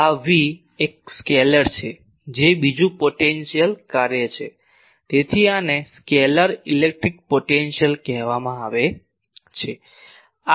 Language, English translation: Gujarati, So, this V is a scalar this is another potential function so this one is called scalar electric potential